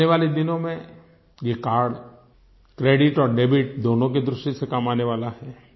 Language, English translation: Hindi, In the coming days this card is going to be useful as both a credit and a debit card